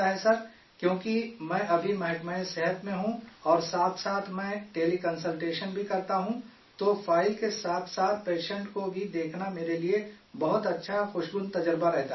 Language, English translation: Urdu, Because I am currently in the health department and simultaneously do teleconsultation… it is a very good, pleasant experience for me to see the patient along with the file